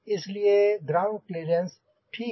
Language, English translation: Hindi, so ground clearance ok